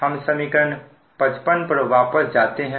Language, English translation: Hindi, this is the equation fifty five